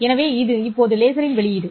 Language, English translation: Tamil, So, this is the output of the laser